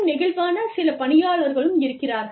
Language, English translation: Tamil, There are some people, who are very flexible